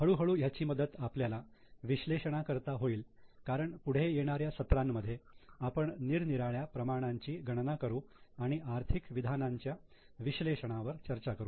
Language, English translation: Marathi, Gradually this will help us to move to analysis because in coming sessions we will calculate various ratios and discuss about analysis of financial statements